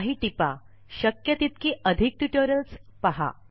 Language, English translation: Marathi, Some tips: Go through as many spoken tutorials as possible